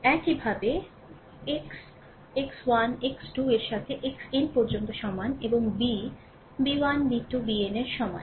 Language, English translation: Bengali, Similarly, X is equal to your x 1 x 2 up to x n, and B is equal to b 1 b 2 b n